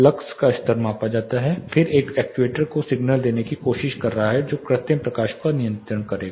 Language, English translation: Hindi, You know essentially the lux levels are measured then it is trying to give the signal to or actuate to the actuator which will be controlling the artificial light